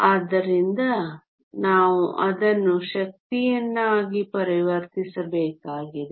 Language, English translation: Kannada, So, we need to convert it into energy